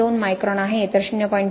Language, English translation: Marathi, 02 micron, whereas for the 0